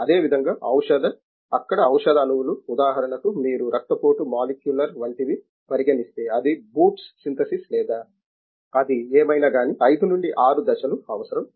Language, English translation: Telugu, The same way drug, there drug molecules now you drug molecules for example, you have take a hypertension molecular are something like that as a boots synthesis or whatever it is it all requires 5 to 6 steps